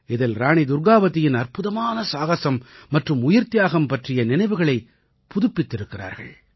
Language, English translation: Tamil, In that, memories of the indomitable courage and sacrifice of Rani Durgavati have been rekindled